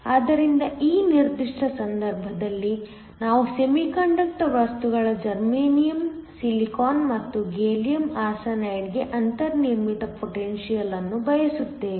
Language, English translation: Kannada, So, In this particular case, we want the built in potential for the semiconductor materials germanium, silicon and gallium arsenide